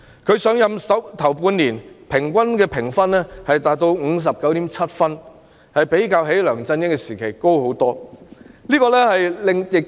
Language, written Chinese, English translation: Cantonese, 她上任首半年的評分平均達到 59.7 分，遠高於梁振英時期的得分。, Her score in the first half year after her assumption of office reached 59.7 on average far higher than that in the LEUNG Chun - ying era